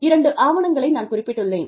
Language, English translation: Tamil, I have referred to, two papers